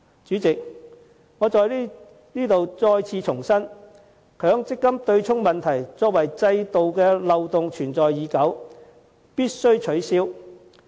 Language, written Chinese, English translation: Cantonese, 主席，我在此重申，強積金對沖機制這項制度漏洞存在已久，必須予以取消。, President I hereby reiterate that the MPF offsetting mechanism a loophole that has existed for a long time should be abolished